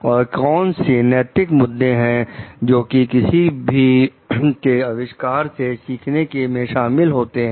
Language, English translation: Hindi, And like what are the ethical issues involved in learning from the innovation of others